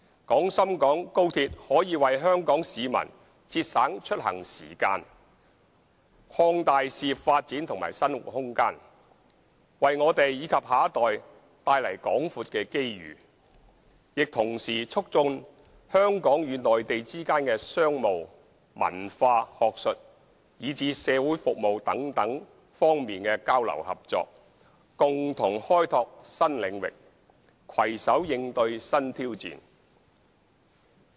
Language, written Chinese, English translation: Cantonese, 廣深港高鐵可為香港市民節省出行時間、擴大事業發展及生活空間，為我們及下一代帶來廣闊的機遇，亦同時促進香港與內地之間的商務、文化、學術，以至社會服務等多方面的交流合作，共同開拓新領域，攜手應對新挑戰。, XRL can save travelling time in intercity trips provide more room for career development and living for Hong Kong people and create extensive opportunities for Hong Kong and our next generations . At the same time it can also promote exchanges and cooperation between Hong Kong and the Mainland in various areas such as business culture academic development and even social services while enabling both sides to make concerted efforts in exploring new areas and join hands to cope with new challenges